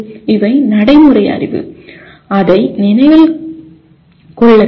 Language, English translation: Tamil, These are procedural knowledge that needs to be remembered